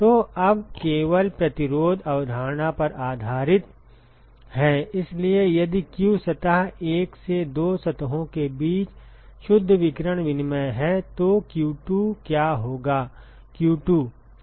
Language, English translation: Hindi, So, now simply based on the resistance concept so, if q1 is the net radiation exchange between the two surfaces from the surface 1 ok, then q2 will be what will be q2